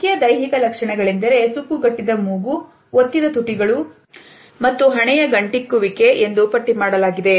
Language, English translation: Kannada, Main physical features are listed as a wrinkled nose, pressed lips and frowning of the forehead